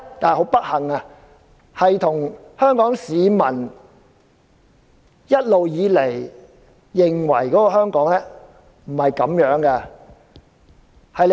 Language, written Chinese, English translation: Cantonese, 很不幸，香港市民一直認為香港不是這樣的。, Unfortunately Hong Kong people have always believed that Hong Kong should not act like that